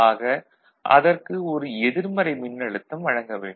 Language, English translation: Tamil, So, a negative voltage, relatively negative voltage needs to be applied